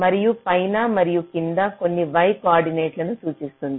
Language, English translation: Telugu, top of e and bottom of e, they refer to some y coordinates